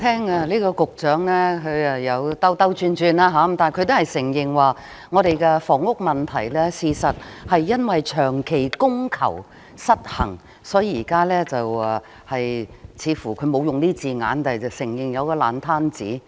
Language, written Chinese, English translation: Cantonese, 代理主席，聽局長這番發言，雖然他是在繞圈子，但卻也承認我們的房屋問題事實上是長期供求失衡所致，所以，現在似乎——他沒有用上這字眼，但卻承認——有個爛攤子。, Deputy President on hearing such words from the Secretary although he was beating about the bush he also admitted that our housing problem in fact stemmed from a long - term imbalance in supply and demand therefore now it seems that―he did not use such words but he admitted that―there existed a mess